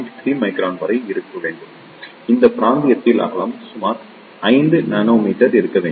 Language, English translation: Tamil, 3 micron, in this region, the width should be of around 5 nanometer